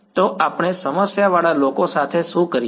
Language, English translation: Gujarati, So, what do we do with problematic guys